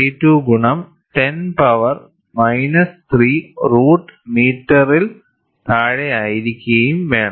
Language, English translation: Malayalam, 32 into 10 power minus 3 root of meters